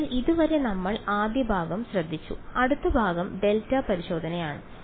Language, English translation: Malayalam, So, far so, we have taken care of the first part the next part is delta testing